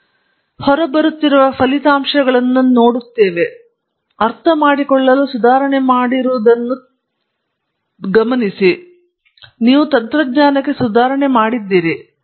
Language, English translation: Kannada, So, you have some results that come out, turns out that you have made an improvement to understanding, you have made an improvement to technology